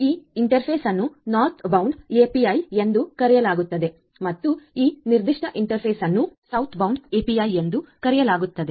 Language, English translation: Kannada, So, this interface is known as the Northbound API and this particular interface is known as the Southbound API